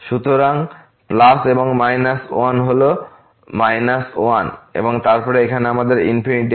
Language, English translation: Bengali, So, plus and into minus one is minus one and then, here we have infinity